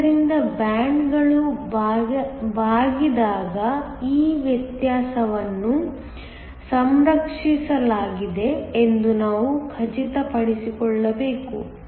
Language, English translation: Kannada, So, when the bands bend we must make sure that, that difference is preserved